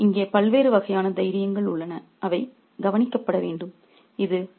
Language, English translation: Tamil, So, there are different kinds of courage here which should be noticed